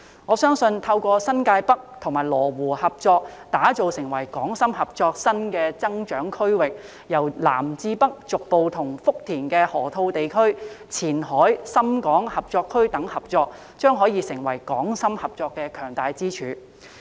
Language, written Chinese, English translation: Cantonese, 我相信，透過新界北與羅湖合作打造成為港深合作新的增長區域，由南至北逐步與福田的河套地區、前海深港合作區等合作，將可成為港深合作的強大支柱。, I believe with the cooperation between New Territories North and Lo Wu to create a Hong Kong - Shenzhen cooperative new growth area cooperation will gradually be extended from south to north to the loop area of Futian the Qianhai Shenzhen - Hong Kong Cooperation Zone etc . to form a strong pillar of Hong Kong - Shenzhen cooperation